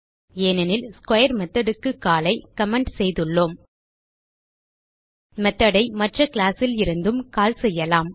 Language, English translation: Tamil, We do not see 25 because we have commented the call to square method We can also call method from other class